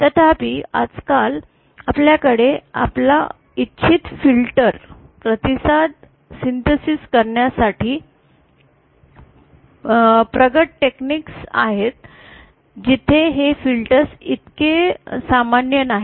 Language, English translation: Marathi, However with the present day where we have the advanced technology for synthesizing our desired filter response these filters are not that common